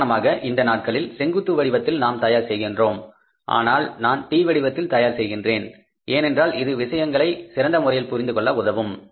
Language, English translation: Tamil, These days we are preparing in the vertical orders but if I prepare in the T format it will be very easy for you to understand